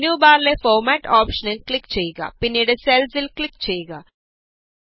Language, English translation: Malayalam, Now click on the Format option in the menu bar and then click on Cells